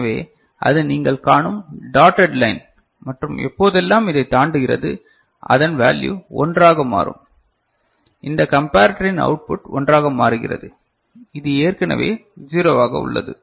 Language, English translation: Tamil, So, that is the dotted line you see and whenever it exceeds it what happens these value becomes 1 right, this comparator output becomes 1